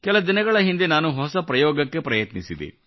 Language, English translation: Kannada, A few days ago I tried to do something different